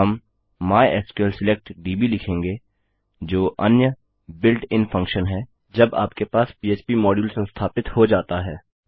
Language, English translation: Hindi, Well say mysql select db which is another built in function when you have the php module installed